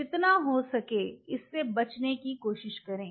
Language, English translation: Hindi, Try to avoid this as much as you can